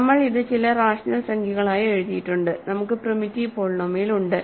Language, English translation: Malayalam, So, we have written this as some rational number times, we have primitive polynomial